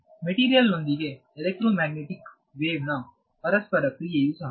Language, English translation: Kannada, So, the interaction of an electromagnetic wave with the material is also